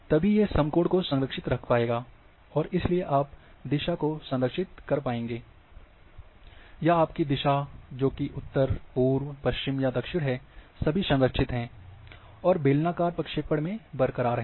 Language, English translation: Hindi, Then you can have right angle preservation, and therefore, you preserve, or your direction that is say north direction east west south, all is preserved or remain intact in cylindrical projection